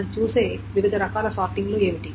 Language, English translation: Telugu, Then there are different ways of sorting